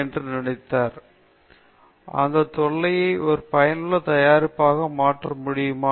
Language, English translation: Tamil, And, can I convert the nuisance into a useful product